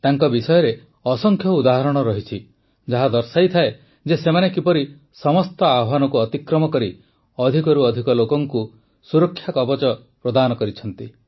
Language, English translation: Odia, There are innumerable instances about them that convey how they crossed all hurdles and provided the security shield to the maximum number of people